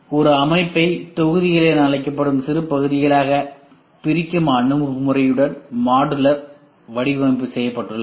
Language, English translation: Tamil, Modular design is made with an approach that subdivides a system into smaller parts called modules or skids